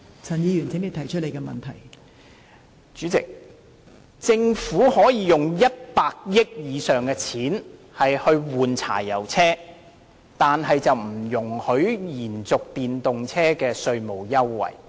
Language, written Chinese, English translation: Cantonese, 代理主席，政府可以在更換柴油車上花超過100億元，但卻不容許延續電動車的稅務優惠。, Deputy President the Government has spent over 10 billion on the replacement of diesel vehicles yet it does not allow extending the tax concession for EVs